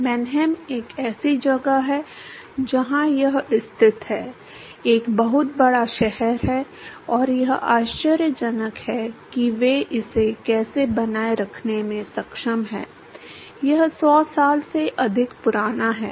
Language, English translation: Hindi, Mannheim is a place where it is located, is a very, very large city and it is amazing, how they are able to maintain it is it is more than 100 years old